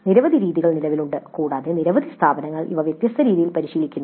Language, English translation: Malayalam, Several options do exist and several institutes practice this in different ways